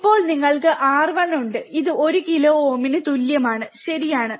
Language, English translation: Malayalam, Now given that you are have, R 1 equals to 1 kilo ohm this one, right